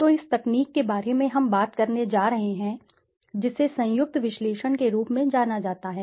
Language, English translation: Hindi, So, this technique that we are going to talk about is known as conjoint analysis